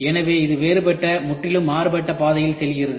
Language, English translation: Tamil, So, this gets into a different, completely different route